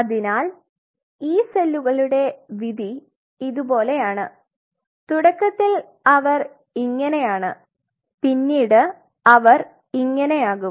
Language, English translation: Malayalam, So, the fate of these cells is like this initially they are like this and eventually they become something like this